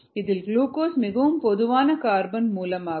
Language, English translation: Tamil, glucose is a very common carbon source